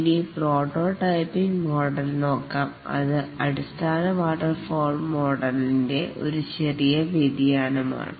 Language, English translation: Malayalam, Now let's look at the prototyping model which is also a small variation of the basic waterfall model